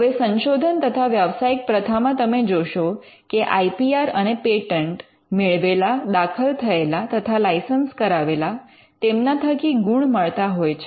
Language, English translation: Gujarati, Now, in research and professional practice you will find that IPR and patents: granted, filed and license, fetches you a component of mark